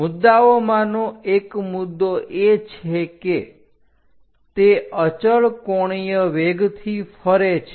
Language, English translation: Gujarati, One of the point is rotating at constant angular velocity